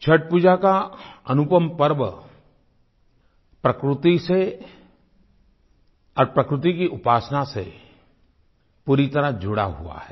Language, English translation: Hindi, The unique festival Chhath Pooja is deeply linked with nature & worshiping nature